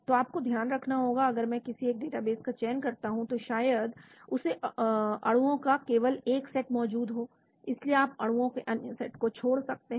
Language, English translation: Hindi, so you have to watch out, if I select one database maybe it has got only one set of molecules, so you may miss out other set of molecules